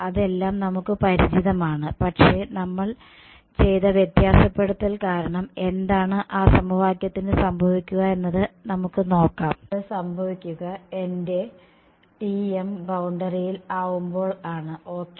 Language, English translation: Malayalam, So, we are familiar with all of that, but now let us look at that equation which will get altered by what we have done and that will happen when my T m is on the boundary ok